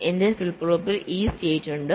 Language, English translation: Malayalam, so my flip flop contains this state